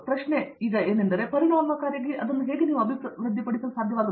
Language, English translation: Kannada, Question is how efficiently will you be able to develop